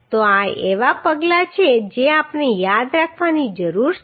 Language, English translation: Gujarati, So these are the steps which we need to remember